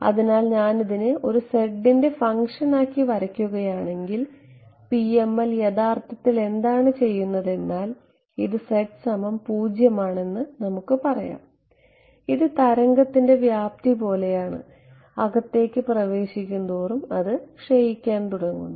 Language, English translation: Malayalam, So, if I were to plot as a function of z what the PML is actually accomplishing let us say that this is z is equal to 0 and this is like the amplitude of the wave this enters inside it begins to decay